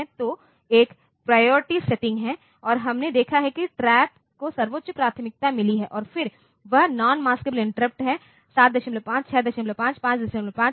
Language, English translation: Hindi, So, there is a priority setting and we have seen that the TRAP has got the highest priority and then that is non maskable interrupt in 7